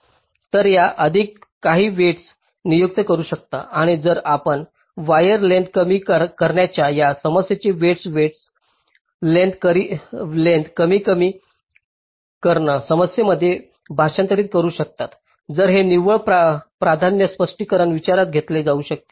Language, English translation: Marathi, ok, so if you can assign some weights and if you can translate this problem of ah, minimizing wire length to a weighted wire length minimization problem, then this net priority can be implicitly taken into account, just to modify the cost function for the placement